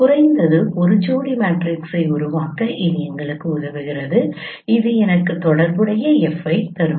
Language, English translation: Tamil, It is it is helping us to to form at least a pair of matrices where which will give me the corresponding F